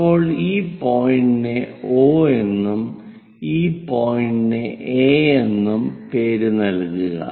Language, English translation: Malayalam, Now, name these points as O and this point as A